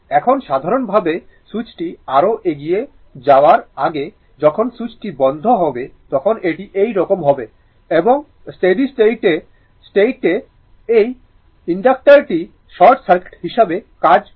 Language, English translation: Bengali, Now, your in general when the switch before moving further, when the switch is closed it will be like this and at steady state, this inductor acts as a short circuit, right